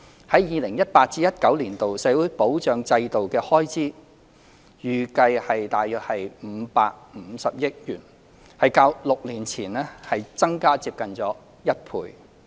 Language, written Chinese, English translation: Cantonese, 在 2018-2019 年度，社會保障制度的開支預計約550億元，較6年前增加接近一倍。, In 2018 - 2019 the estimated expenditure of the social security system is 55 billion which almost doubles that of six years ago